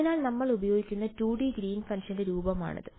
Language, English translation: Malayalam, So, this is the form of the 2D Green’s function that we will use